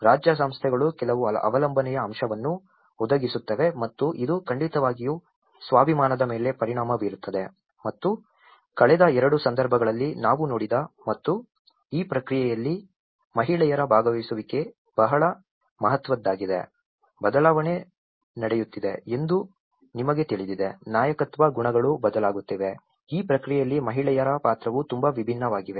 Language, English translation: Kannada, Whereas the state institutions provide certain dependency aspect and this definitely have an impact on the self esteem which in the last two cases, which we have seen and participation of women is very significant in this process, you know the change is happening, the leadership qualities are changing, the role of women is very different in this process